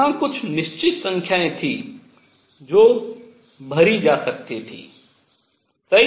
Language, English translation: Hindi, So, there were certain number that could be filled right